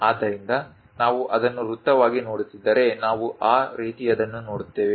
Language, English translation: Kannada, So, if we are looking at it a circle, we will see something like in that way